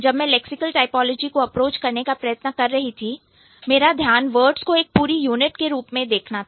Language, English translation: Hindi, Uh, when I, when I was trying to approach lexical typology, my focus was to look at words as a whole unit